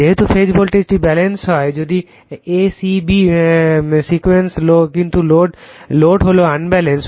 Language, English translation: Bengali, That the phase voltage is Balanced if the a c b sequence, but load is Unbalanced load is unbalanced